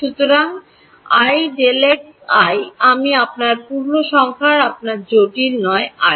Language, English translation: Bengali, So, i delta x i is your integer not your complex i your term ok